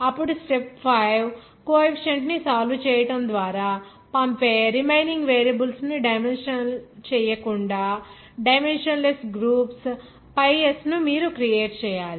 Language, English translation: Telugu, Then step 5 you have to create the pi s that is dimensionless groups by non dimensionalizing the remaining variables send by solving the coefficient